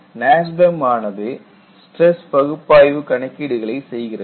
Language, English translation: Tamil, And, NASBEM performs stress analysis calculations